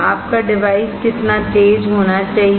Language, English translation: Hindi, How fast your device should be